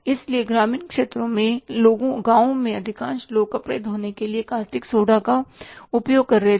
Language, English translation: Hindi, So, most of the people in the rural areas in the villages were using the caustic soda to wash the clothes